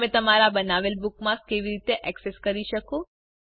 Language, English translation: Gujarati, How can you access the bookmarks you create